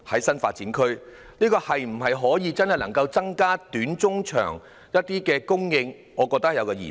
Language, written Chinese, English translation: Cantonese, 新發展區是否真的可以增加短中長期的土地供應，我覺得存有疑問。, Can new development areas really increase land supply in the short medium and long term? . I doubt it